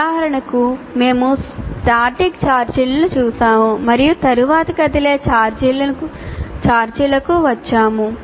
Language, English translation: Telugu, For example, having done this, then we say, we looked at the static charges and then I come to moving charges